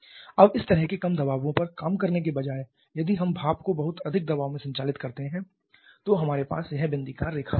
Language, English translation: Hindi, Now instead of operating at such low pressure if we operate the steam at much higher pressure then we have this dotted line